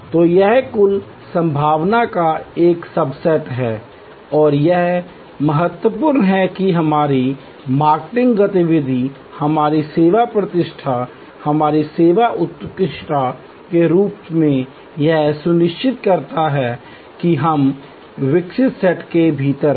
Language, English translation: Hindi, So, it is a subset of the total possibility and it is important that as our marketing activity, our service reputation, our service excellence ensures that we are within the evoked set